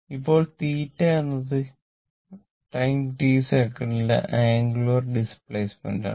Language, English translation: Malayalam, Now, theta is the angular displacement in time t second